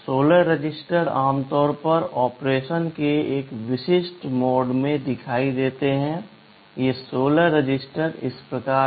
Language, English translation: Hindi, 16 registers are typically visible in a specific mode of operation; these 16 registers are as follows